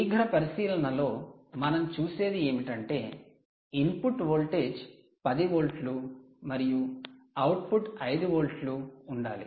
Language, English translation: Telugu, so you can see just first, quick observation: input voltage is ten volts, output is has to be nine, has to be five volts